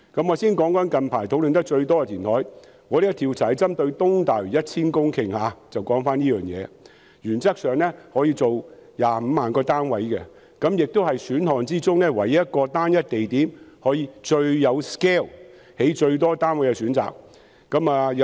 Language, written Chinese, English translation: Cantonese, 我先談談最近討論得最多的填海，我們這項調查針對的是在東大嶼填海 1,000 公頃的計劃，原則上，可以用來興建25萬個單位，也是各選項中唯一可以在單一地點最大 scale 興建最多單位的選項。, Our survey has focused on the reclamation project of 1 000 hectares in East Lantau . In principle it can provide land for building 250 000 housing units . It is also the only option among all the options which can facilitate the construction of the greatest number of units in the largest scale at a single location